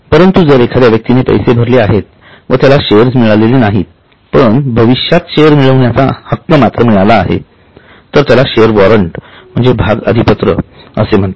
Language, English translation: Marathi, But if that person has paid the money but still has not been issued a share but has been issued a right to receive share in future, it is called as share warrant